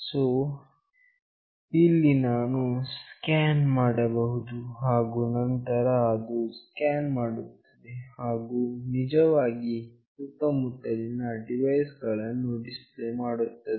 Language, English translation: Kannada, So, here you can scan, and then it will scan and will actually display what all devices are nearby